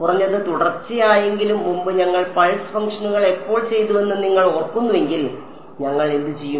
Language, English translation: Malayalam, At least continuous; previously if you remember when we had done the pulse functions what will what did we do